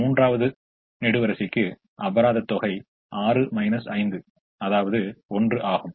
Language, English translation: Tamil, for the third column, it is six minus five, which is one